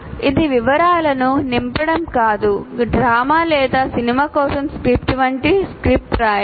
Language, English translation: Telugu, It is not the filling the details, but the writing a script, like script for a drama or a movie